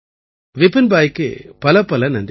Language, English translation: Tamil, Many thanks to Vipinbhai